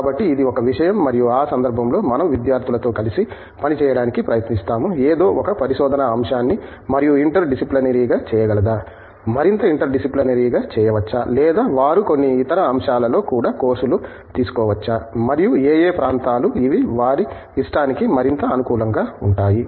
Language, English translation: Telugu, So, that is one thing and in that case we try to work with the students to see whether, something can be more interdisciplinary the research topic, can be made more interdisciplinary or whether they can take courses in certain other topics also and what can areas which are suited more to their liking